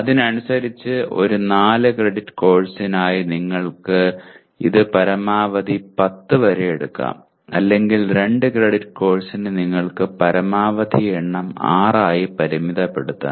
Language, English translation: Malayalam, So correspondingly for a 4 credit course you may take it up to almost maximum 10 or for a 2 credit course you can limit yourself to maximum number of 6